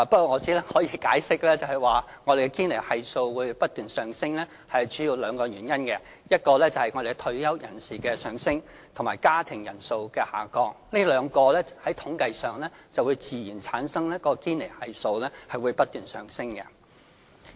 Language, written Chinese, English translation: Cantonese, 我只可以解釋，我們的堅尼系數不斷上升主要有兩個原因，一是我們的退休人士數目上升，二是家庭人數下降，這兩項因素自然會令堅尼系數不斷上升。, I can only say that the rising Gini Coefficient in Hong Kong is attributed mainly to two factors . The first factor is the rising number of our retirees; and the second one is the diminishing number of household members . These two factors will naturally push up the Gini Coefficient continually